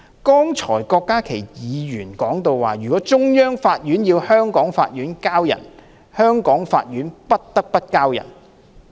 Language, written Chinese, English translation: Cantonese, 剛才郭家麒議員說，如果中央法院要香港法院"交人"，香港法院不得不"交人"。, Dr KWOK Ka - ki said earlier that if a court of the Central Authorities requests a Hong Kong court to surrender a fugitive offender the latter will have no choice but to comply